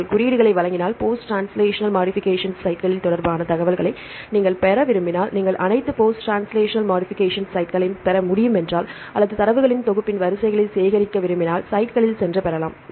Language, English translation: Tamil, If you want to get the information regarding post translational modification sites right if you give the codes, if you can get all the post translational modification sites or if you want to collect the sequences of a set of data